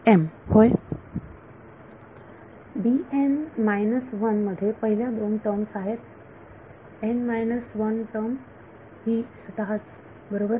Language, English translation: Marathi, In D n minus 1 the first two terms are the n minus 1 term itself right